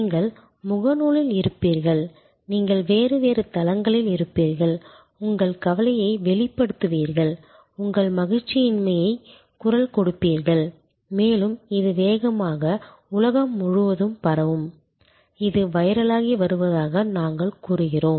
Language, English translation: Tamil, You will be on face book, you will be on different other platforms, voicing your concern, voicing your unhappiness and often it will rapidly spread even across the world which we say going viral